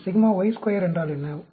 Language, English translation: Tamil, What is sigma y square